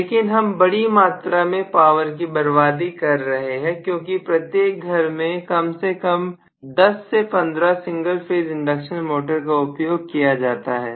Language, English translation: Hindi, But we are wasting huge amount of power in that because every home uses at least 10 to 15 single phase induction motor